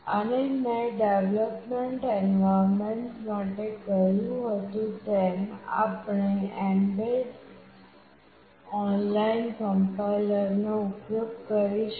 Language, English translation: Gujarati, And as I had said for development environment we will be using an online complier that is mbed